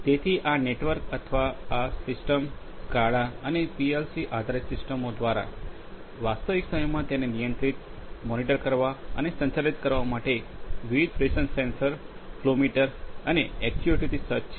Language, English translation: Gujarati, So, this network or this system is equipped with various pressure sensors, flow monitors and actuators in order to control, monitor and operate it in the real time ok, through a SCADA and PLC based systems